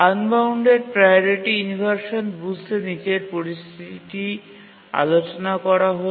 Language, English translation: Bengali, To understand unbounded priority inversion, let's consider the following situation